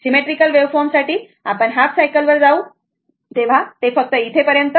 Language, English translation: Marathi, For symmetrical waveform, we will just go up to your half cycle